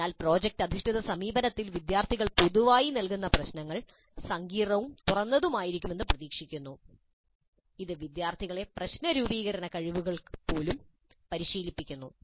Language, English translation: Malayalam, So the problems that are generally given to the students in product based approach are expected to be complex and open ended in order to make the students practice even the problem formulation skills